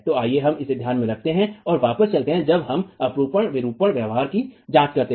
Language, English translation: Hindi, So let's keep this in mind and come back when we examine the shear deformation behavior itself